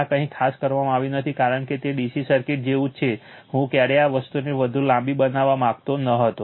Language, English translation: Gujarati, This not much done because, it is same as dc circuit right I never wanted to make these things much more lengthy